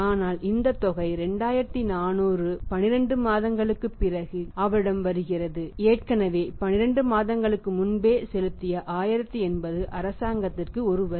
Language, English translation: Tamil, But this amount is coming to him after to 2400 is coming to him after 12 months out of this has already paid 12 months back 1080 is a tax to the government